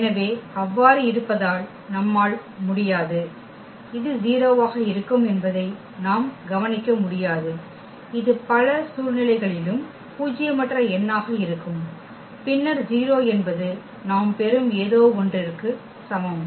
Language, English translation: Tamil, So, having so, we cannot; we cannot just observe that this will be 0 this will be a non zero number as well in many situation and then 0 is equal to something nonzero we are getting